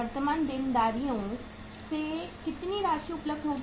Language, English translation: Hindi, How much funds will be available from the current liabilities